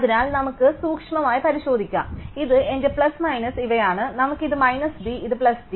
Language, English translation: Malayalam, Let, so this is minus d, this is plus d